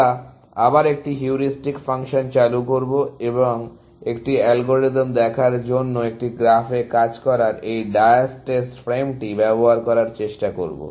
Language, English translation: Bengali, We will introduce a heuristic function back again, and try to use this diastase frame of working on a graph to look at an algorithm, which is a very well known algorithm called A star algorithm